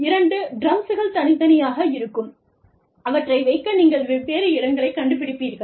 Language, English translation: Tamil, Two drums, separate, and you would find different places, to put them in